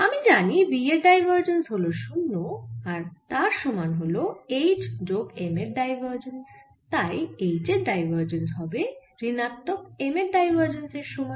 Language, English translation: Bengali, as we know that divergence of b equal to zero and divergence of m is proportional to divergence of b, so divergence of m is also equal to zero